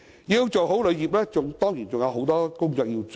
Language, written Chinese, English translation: Cantonese, 要做好旅遊業，當然還有很多工作需要做。, Certainly more has to be done for the well operation of the tourism industry